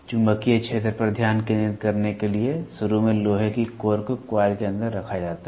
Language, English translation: Hindi, To concentrate the magnetic field, initially the iron core is placed inside the coil